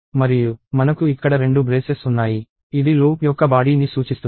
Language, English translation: Telugu, And we have two braces here indicating that, this is a body of the loop